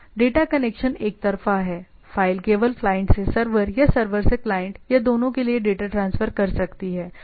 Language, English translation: Hindi, The data connection is unilateral file can transfer data only from client to server or from server to client or not both